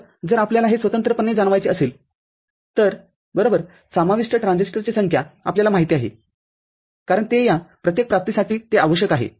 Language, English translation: Marathi, So, if you want to realize this separately right the number of transistors you know involved will be you know as it is required for each of these realization